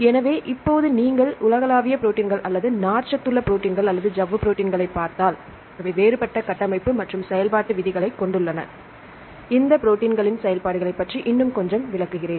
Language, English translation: Tamil, So, now, if you look into the globular proteins or the fibrous proteins or membrane proteins, they have a different structural and functional rules, I will explain a bit more about the functions of these proteins